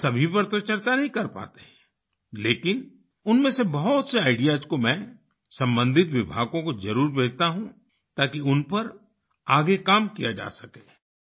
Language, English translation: Hindi, We are not able to discuss all of them, but I do send many of them to related departments so that further work can be done on them